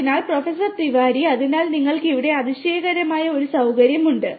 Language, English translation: Malayalam, So, Professor Tiwari, so you have a wonderful facility over here